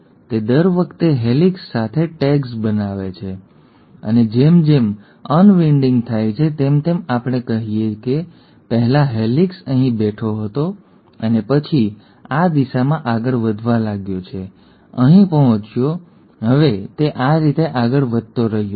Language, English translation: Gujarati, It kinds of tags along every time with a helicase, and as the unwinding happens, this the, let us say, earlier the helicase was sitting here and then started moving in this direction, reached here, now it has continued to move like that